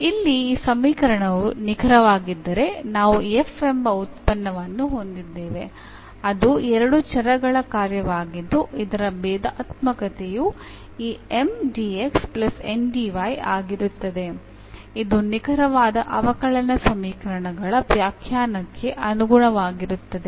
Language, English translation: Kannada, So, here if this equation is exact then we will have a function f a function of two variable whose differential will be this Mdx plus Ndy as per the definition of the exact differential equations